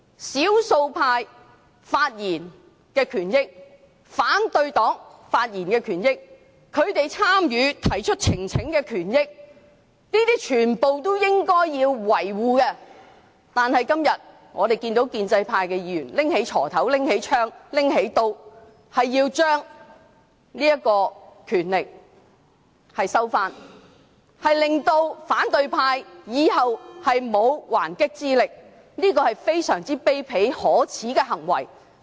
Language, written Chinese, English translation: Cantonese, 少數派及反對黨發言的權益，他們提交呈請書的權益全都要維護，但我們今天看到建制派議員拿出鋤頭、槍和刀，要收回權力，令到反對派以後沒有還擊之力，這是非常卑鄙可耻的行為。, The right to speak by the minority and opposition Members as well as their right to present petitions should be safeguarded . But today we witness how pro - establishment Members will take away such rights with hoes guns and knives so that opposition Members will have no power to defend themselves in the future . That is very despicable